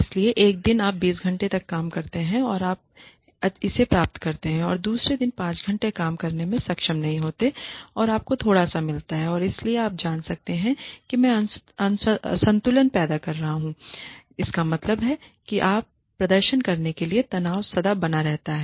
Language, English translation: Hindi, So, one day you work for 20 hours and you get this much and on the other day you do not be able to work for 5 hours and you get a little bit and so that could you know create an imbalance on I mean it creates perpetual stress on you to perform